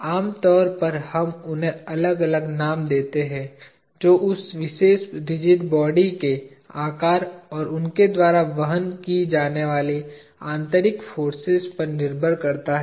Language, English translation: Hindi, Typically, we name them differently, depending on the shape of that particular rigid body, and the internal forces that they carry